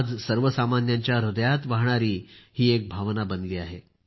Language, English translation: Marathi, Today it has become a sentiment, flowing in the hearts of common folk